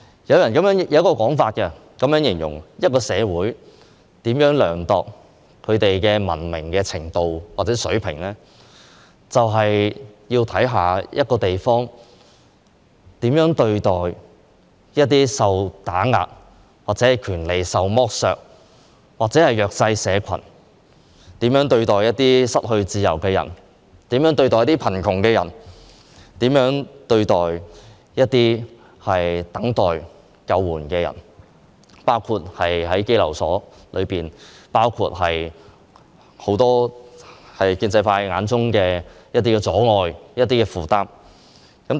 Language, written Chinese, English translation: Cantonese, 有一種說法是，要量度一個社會的文明程度或水平，是要看這個社會如何對待一些受打壓、權利受剝削的人和弱勢社群，以及它如何對待一些失去自由的人、貧窮人士和等待救援的人，而在香港，便包括在羈留所裏的人，以及建制派眼中的一些阻礙和負擔。, There is a saying that the measurement of the extent or level of civilization of a society will depend on how this society treats some suppressed underprivileged people and disadvantaged social groups as well as how it treats some people without freedom who are poor and waiting to be rescued . In the context of Hong Kong they include those in the detention centre as well as some obstacles and burdens in the eyes of the pro - establishment camp